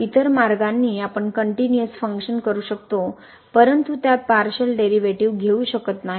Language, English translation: Marathi, So, other way around, we can have a continuous function, but it may not have partial derivative